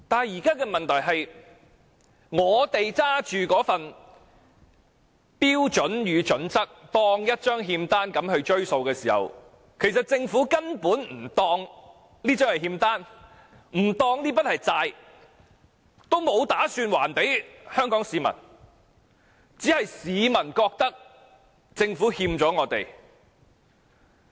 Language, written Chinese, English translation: Cantonese, 現在的問題是，市民把《規劃標準》當作一張欠單向政府追數，但其實政府根本不當《規劃標準》是欠單，不當這筆是債，所以它沒有打算向香港市民還債，只是市民覺得政府欠了我們。, The problem now is that while the public are chasing after the Government with HKPSG as an IOU the Government does not regard HKPSG as an IOU . The Government does not see itself being indebted to the people and that is why it has no intention to settle the debts at all; it is just the peoples wishful thinking that the Government is indebted to us